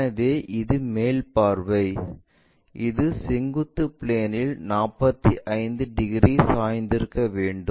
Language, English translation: Tamil, So, this is the top view that has to make 45 degrees inclined to the vertical plane